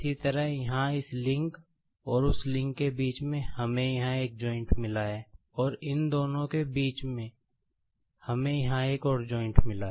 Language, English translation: Hindi, Similarly, here in between this link and that link, we have got a joint here, between these and these we have got another joint here